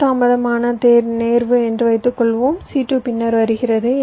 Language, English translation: Tamil, suppose c two is delayed, case one, c two comes after